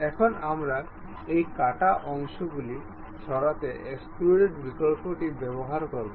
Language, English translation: Bengali, Now, we will use extrude option to remove these cut portions